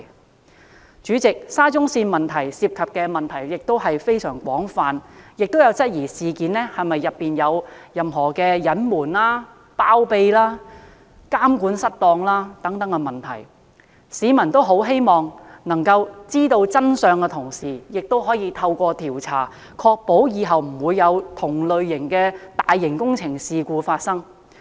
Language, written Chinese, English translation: Cantonese, 代理主席，沙中線工程涉及的問題非常廣泛，亦有人質疑事件有否涉及隱瞞、包庇和監管失當等問題，市民既希望知道真相，同時亦希望透過調查，確保往後的大型工程不會有同類事故發生。, Deputy President a wide spectrum of problems are involved in the SCL Project . Some people have also questioned whether the incident involves malpractices such as concealment shielding and improper monitoring . The public hopes to find out the truth and to ensure that similar blunders will not recur in subsequent large - scale projects through conducting an investigation